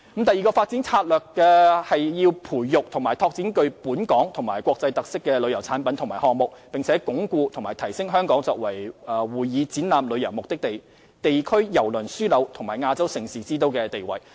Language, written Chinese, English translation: Cantonese, 第二個發展策略是培育及拓展具本港及國際特色的旅遊產品及項目，並鞏固和提升香港作為會議展覽旅遊目的地、地區郵輪樞紐及亞洲盛事之都的地位。, The second development strategy is to nurture and develop tourism products and initiatives with local and international characteristics as well as reinforcing and upgrading Hong Kong as a travel destination for conventions and exhibitions a regional cruise hub and an events capital